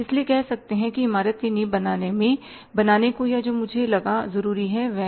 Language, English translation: Hindi, So, say, building the foundation I found or I thought is necessary